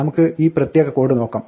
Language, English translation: Malayalam, Let us look at this particular code